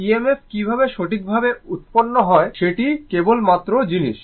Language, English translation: Bengali, Only thing is that how EMF is generated right